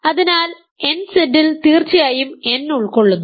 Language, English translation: Malayalam, So, nZ certainly contains n